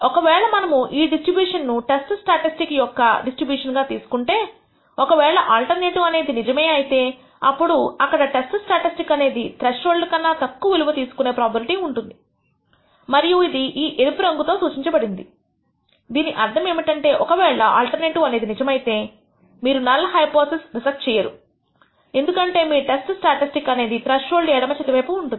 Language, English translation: Telugu, Suppose we consider this distribution as the distribution of the test statistic if the alternative is true, then what happens is there is a probability that the test statistic will take a value less than this threshold and that is given by the probability marked in red, which means that even if the alternative is true you will not reject the null hypothesis because your test statistic is falling to the left of this threshold